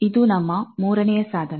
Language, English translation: Kannada, This is our third tool